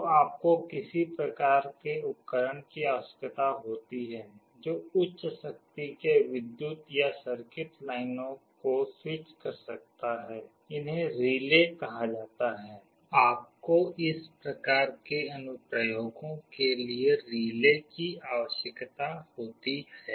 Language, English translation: Hindi, So, you need some kind of a device which can switch high power electric or circuit lines, these are called relays; you need relays for those kind of applications